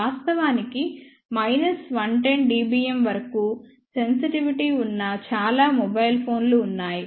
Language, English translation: Telugu, In fact, there are many mobile phones which even have a sensitivity up to minus 110 dBm